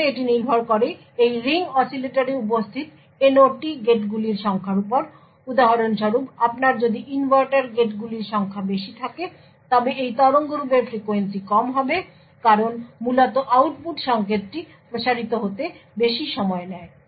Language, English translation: Bengali, First it depends on the number of NOT gates that are present in this ring oscillator for example, if you have more number of inverters gates then the frequency would be of this waveform would be lower because essentially the signal takes a longer time to propagate to the output